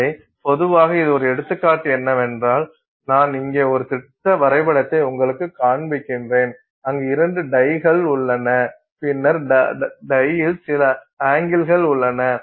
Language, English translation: Tamil, So, typically if this is just an example, I'm just showing you a schematic here where let's say there are two dyes and then there is some bend in the die